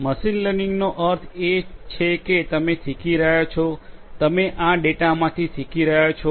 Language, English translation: Gujarati, Machine learning means that you are learning, you are learning from this data